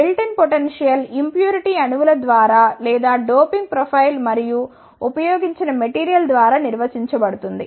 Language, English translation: Telugu, The built in potential is defined by the impurity atoms or the doping profile and the type of material which is used